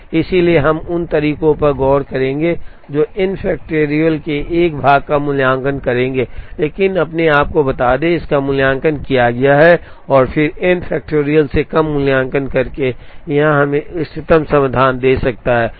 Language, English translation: Hindi, So, we would look at methods that would implicitly evaluates a part of n factorial, but tell us there, it has a evaluated that and then by evaluating fewer than n factorial, it could give us the optimum solution